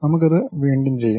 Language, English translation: Malayalam, Let us do that once again